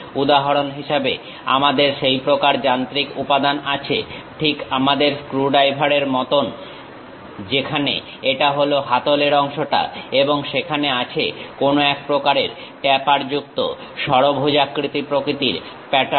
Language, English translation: Bengali, For example, we have such kind of machine element, more like our screwdriver type, where this is the handle portion and there is some kind of tapered hexagonal kind of pattern